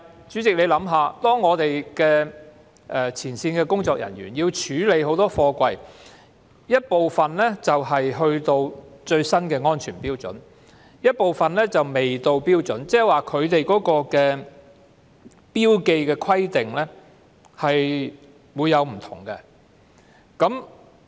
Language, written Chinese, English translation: Cantonese, 主席，你想想，前線工作人員須處理的大量貨櫃中，有部分已符合最新的安全標準，但亦有部分仍未符合標準，即是標記規定並不相同。, President imagine that frontline workers have to handle a large number of containers; while some of which have met the latest safety standard some have not meaning that there are different marking requirements